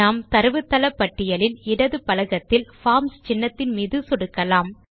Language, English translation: Tamil, We will click on the Forms icon in the database list on the left panel